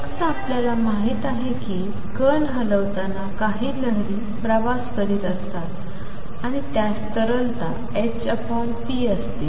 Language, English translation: Marathi, The only thing we know is that there is some wave travelling with the particle when it moves and it has a wavelength h over p